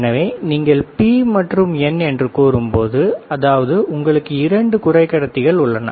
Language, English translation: Tamil, So, when you say P and N, that means, that you have two semiconductors